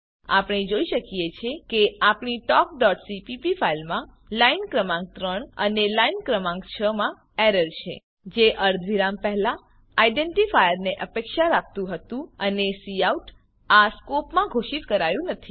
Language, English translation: Gujarati, We see that there is an errors at line no 3 and line no 6 in our talk.cpp file That expected identifier before semicolon and cout was not declared in this scope